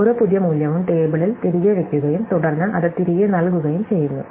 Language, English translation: Malayalam, So, every new value it is put back in the table and then, we return it